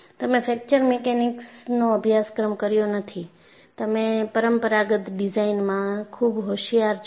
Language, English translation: Gujarati, You have not done a course in fracture mechanics; you are trained in conventional design